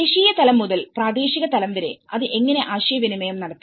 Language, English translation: Malayalam, So, from a national level to the local level how it has to set up that communication